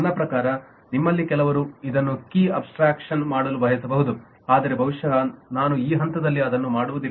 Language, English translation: Kannada, i mean, may be some of you would like to make it a key abstractions, but probably i will not make it at this stage